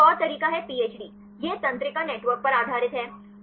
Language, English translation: Hindi, And this is another method PHD; it is based on neural networks